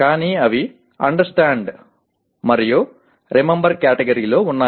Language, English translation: Telugu, But they are in Understand and Remember category